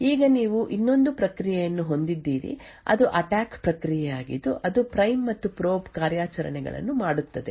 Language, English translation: Kannada, Now you have the other process which is the attack process which is doing the prime and probe operations